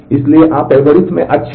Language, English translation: Hindi, So, if you are good in algorithms